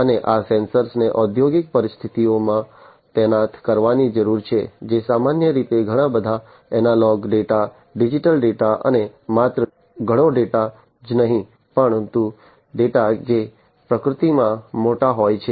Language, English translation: Gujarati, And these sensors want deployed in the industrial scenarios typically are going to collect lot of data, lot of analog data, lot of digital data and not only lot of data, but data, which are big in nature